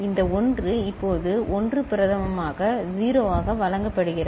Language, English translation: Tamil, This 1 now fed back as 1 prime which is 0